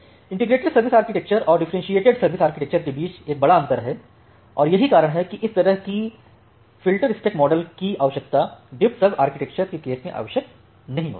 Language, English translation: Hindi, So, that is the difference a major difference between the integrated service architecture and the differentiated service architecture and that is why this kind of filterspec model it is not required in case of DiffServ architecture